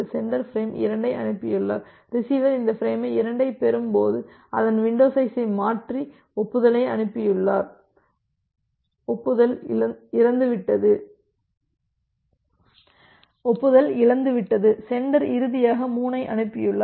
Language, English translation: Tamil, The sender has transmitted frame 2 receiver has receive this frame 2 shifted its receiving window size and it has transmitted the acknowledgement that acknowledgement got lost, the sender has finally sent 3